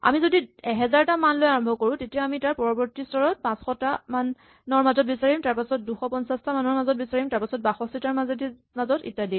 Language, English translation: Assamese, So what we are saying is really, if we start with the 1000 values, in the next step we will end up searching 500, next step 250, next step 125, next step 62 and so on